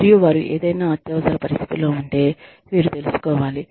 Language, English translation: Telugu, And, if they are, some sort of emergency, they can find out